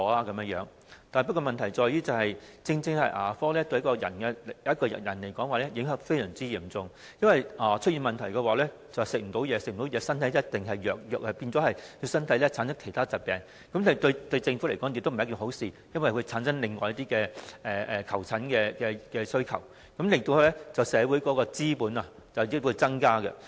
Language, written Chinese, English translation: Cantonese, 然而，問題在於牙齒對一個人的影響非常嚴重，若出現了問題，便難以進食，之後身體一定會變得虛弱，繼而產生其他疾病，對政府而言並非一件好事，因為會產生另外一些求診需求，導致社會成本日益增加。, If he has got a problem with his teeth he will have difficulty eating . Later he will certainly become more feeble and subsequently contract other illnesses . As far as the Government is concerned it is not something good because it will generate some other demands for medical consultation thereby causing a continual increase in social cost